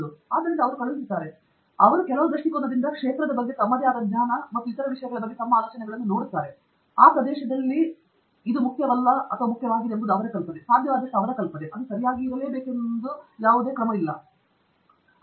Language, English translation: Kannada, So, they send, they look at your paper from some perspective, their own knowledge of the field and so on, their idea of what is important and what is not important in that area, their idea of what is possible, not possible, etcetera